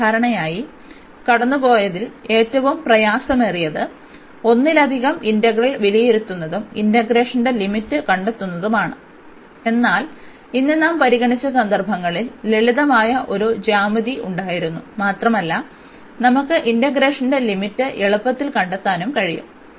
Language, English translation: Malayalam, The hardest past hardest passed usually is the evaluating multiple integral is the finding the limits of integration, but in cases which we have considered today there was simple a geometry and we can easily find the limits of integration